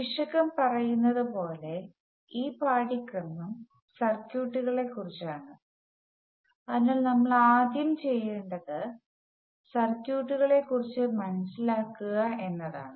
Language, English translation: Malayalam, As the title says, this course is about circuits, so the first thing we will do is to learn what circuits are all about